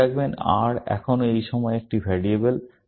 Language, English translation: Bengali, Remember, R is still a variable at this point of time